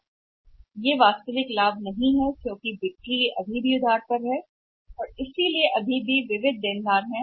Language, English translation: Hindi, They are not actual profit there the on credit because sales are still on say credit basis that is why that sundry debtors are there